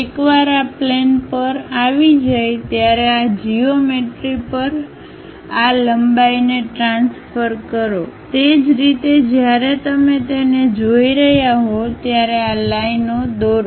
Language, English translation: Gujarati, Once this planes are available, transfer these lengths onto this geometry, similarly from the top view when you are looking at it drop these lines